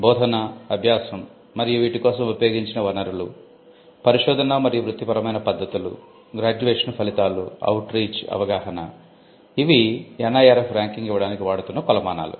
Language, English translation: Telugu, Teaching, learning and the resources employed, research and professional practices, graduation outcomes, outreach and inclusivity, perception; there are different yardsticks that the NIRF uses in coming up with its ranking